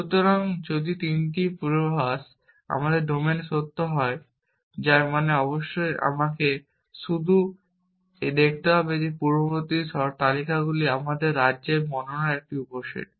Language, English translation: Bengali, So, if these 3 predicates happen to be true in my domain, which means of course, I have to just see the precondition list is a subset of my state description